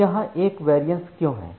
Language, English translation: Hindi, Now, why this there is a variance here